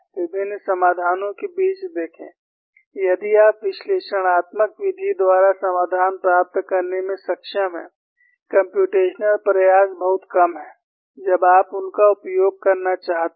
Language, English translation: Hindi, See, among the various solutions, if you are able to get solution by analytical method, the computational efforts are very, very less, when you want to use them